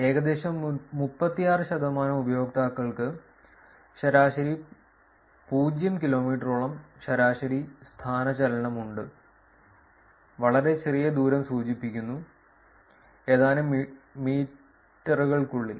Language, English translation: Malayalam, Around 36 percent of the users have average and maximum displacements of about 0 kilometers, right, indicating very short distances within a few meters